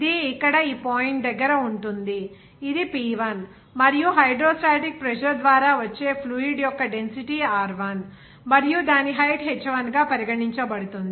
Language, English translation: Telugu, It will be here at this point here; this is P1 and the hydrostatic pressure that is exerted by the fluid of density Rho1 and its height is regarded as h1